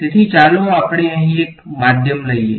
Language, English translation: Gujarati, So, let us take a medium over here